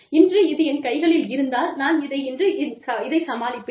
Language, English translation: Tamil, If i have this in hand, today, i will deal with it, today